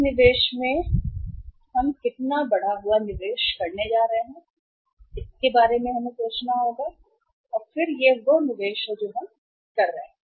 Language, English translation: Hindi, In this investment or how much increased investment we are going to make we will have to think about it and then this is uh the investment we are making